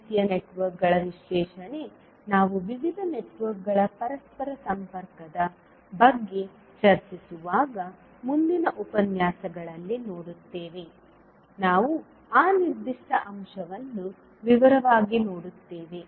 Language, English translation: Kannada, So analysis of these kind of networks we will see the next lecture when we discuss about the interconnection of various networks, we will see that particular aspect in detail